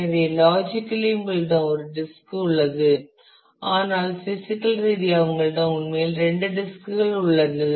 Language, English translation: Tamil, So, it the logically you have one disk, but physically you have actually two disk